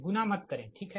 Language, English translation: Hindi, dont multiply right